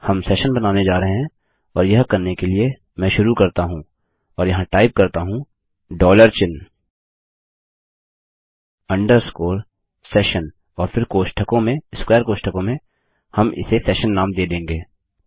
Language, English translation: Hindi, Were going to create a session and to do this let me start and type here the dollar sign underscore session and then in brackets, in square brackets, we will give it a session name